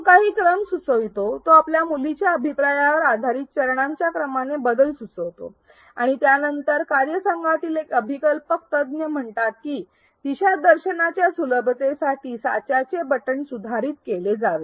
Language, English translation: Marathi, He suggests some sequence he suggests a change in sequence of steps based on his daughter's feedback and then a design expert in the team says that the template button should be modified for ease of navigation